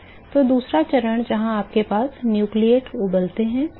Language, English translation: Hindi, So, the second stage where you have nucleate boiling nucleate boiling